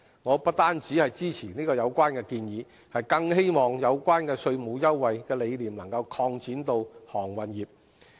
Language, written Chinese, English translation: Cantonese, 我不單支持有關建議，更希望有關稅務優惠的理念能擴展到航運業。, I support the Governments proposal and what is more I hope the idea of offering tax concession can be extended to the maritime industry